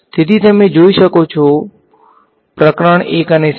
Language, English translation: Gujarati, So, you can look at; so, chapter 1 and 7